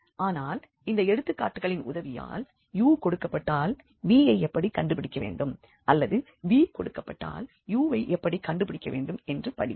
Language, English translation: Tamil, So, here this we will not go for the formal proof of this theorem, but with the help of examples we will learn that how to find v if u is given or if v is given then how to find u